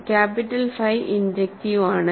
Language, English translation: Malayalam, So, capital phi is injective